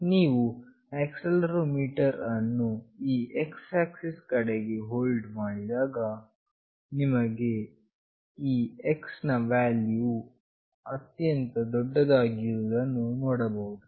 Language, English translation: Kannada, When you hold the accelerometer along this X, then you will see the highest value for this X